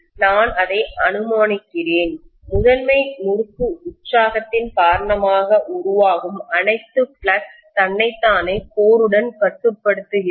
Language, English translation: Tamil, I am assuming that all the flux that is produced because of the primary winding’s excitation is confining itself to the core